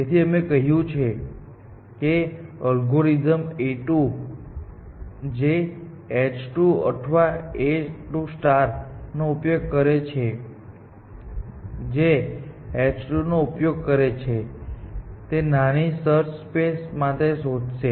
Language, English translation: Gujarati, Then, we said that algorithm a 2, which uses h 2 or a 2 star, which uses h 2, will explore a smaller search space